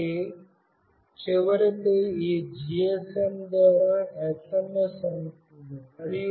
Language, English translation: Telugu, So, finally an SMS will be received through this GSM